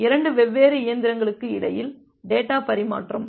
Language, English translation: Tamil, Data transfer between 2 different machines